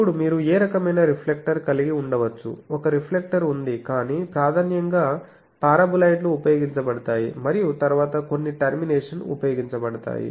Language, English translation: Telugu, Then there is a reflector you can have any type of reflector, but preferably paraboloids are used and then some terminations